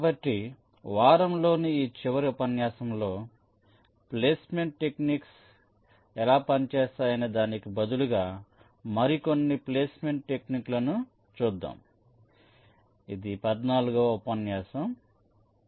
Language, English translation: Telugu, so in this last lecture of the week we shall be looking at some more placement techniques instead of how they work